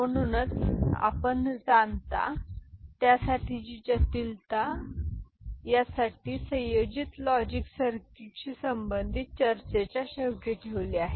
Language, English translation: Marathi, So, that is why you see a little bit you know, the complexity of it for which we have reserved it towards the end of the combinatorial logic circuit related discussion